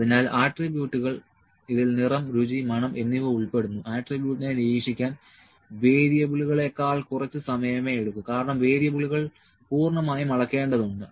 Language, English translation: Malayalam, So, the attributes these includes colour, taste and smell, the monitoring of attribute will be takes less time than variables, because variables needs to be measured completely